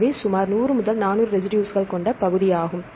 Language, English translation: Tamil, So, that is about a 100 to 400 residues